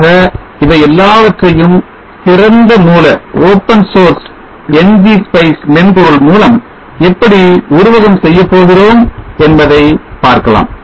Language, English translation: Tamil, So all this let us see how we go about doing in simulation using the open source ng spice software